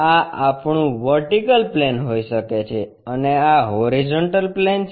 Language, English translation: Gujarati, This might be our vertical plane and this is the horizontal plane